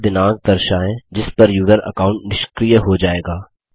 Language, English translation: Hindi, Show the date on which the user account will be disabled